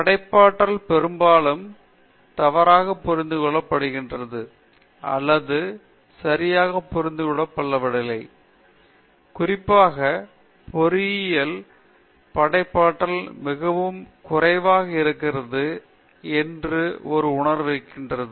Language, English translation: Tamil, Creativity is often misunderstood or not understood properly; particularly, in engineering, generally people have a feeling that creativity is very less